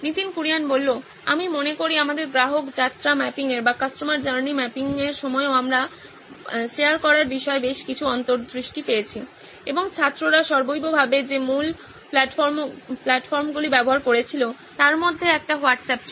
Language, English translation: Bengali, I think even during our customer journey mapping we’ve got several insights regarding sharing, and one of the key platforms students were using across the board was WhatsApp